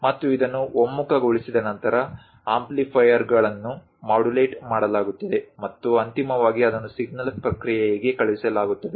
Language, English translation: Kannada, And once this is converged is amplifiers modulated and finally send it for signal processing